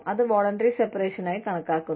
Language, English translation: Malayalam, There could be, voluntary separation